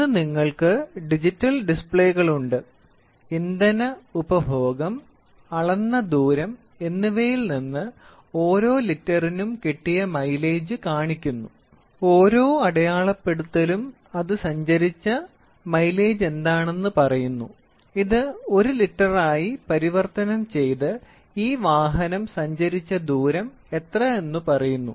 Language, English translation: Malayalam, Today, interestingly you have also digital displays from the mileage the from the reduction in the fuel consumption it and the distance measured it tries to turn display the mileage per every litre or every whatever it is, every graduation it tries to tell what is the mileage it has travelled and it tries to convert this into for 1 litre, what is the distance travelled in this vehicle